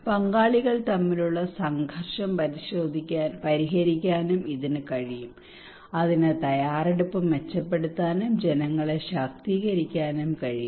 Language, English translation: Malayalam, It can also resolve conflict among stakeholders; it can improve preparedness, and it could empower the people